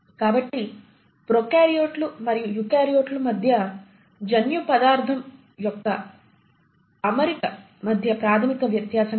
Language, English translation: Telugu, So this is the basic difference between the arrangement of genetic material between prokaryotes and eukaryotes